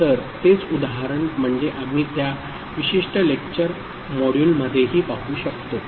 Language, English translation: Marathi, So, the same example, I mean we can see in that particular lecture module also